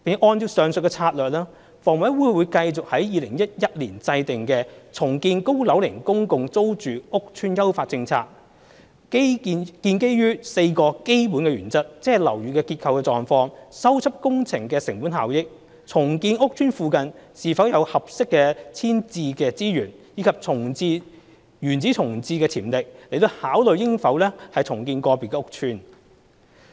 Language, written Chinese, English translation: Cantonese, 按照上述策略，房委會會繼續按2011年制訂的"重建高樓齡公共租住屋邨的優化政策"，基於4個基本原則，即樓宇的結構狀況、修葺工程的成本效益、重建屋邨附近是否有合適的遷置資源，以及原址重建的潛力，來考慮應否重建個別屋邨。, Along with this strategy HA will keep considering redevelopment on an estate - by - estate basis in accordance with the Refined Policy on Redevelopment of Aged PRH Estates formulated in 2011 with refernece to four basic principles viz structural conditions of buildings cost - effectiveness of repair works availability of suitable rehousing resources in the vicinity of the estates to be redevelopled and build - back potential uopn redevelopment